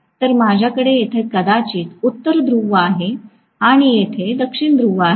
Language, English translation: Marathi, So, I am going to have probably North Pole here and South Pole here